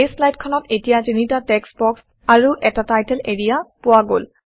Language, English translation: Assamese, The slide now has three text boxes and a title area